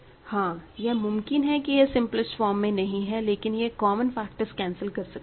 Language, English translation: Hindi, Yes, it is again as before it possible that this is not in the simplest form, but you can cancel the common factors